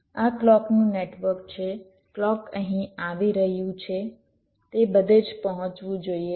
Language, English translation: Gujarati, this is the clock network, the clock is coming here, it must reach everywhere